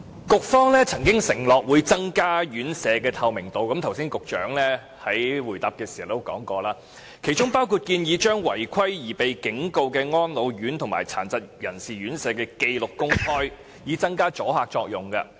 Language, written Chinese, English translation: Cantonese, 局方曾經承諾會增加院舍的透明度，局長剛才在回答時亦說過，其中包括將違規而被警告的安老院及殘疾人士院舍的紀錄公開，以增加阻嚇作用。, The Bureau at one time undertook to enhance the transparency of care homes including as mentioned by the Secretary just now in his answer making public a record on RCHEs and RCHDs which have been given warning for their irregularities so as to strengthen the deterrent effect